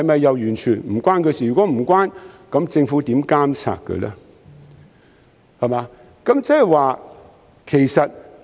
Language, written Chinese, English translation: Cantonese, 如果無關，政府如何監察港鐵公司呢？, If so how does the Government monitor MTRCL?